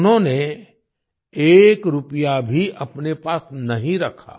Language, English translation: Hindi, He did not keep even a single rupee with himself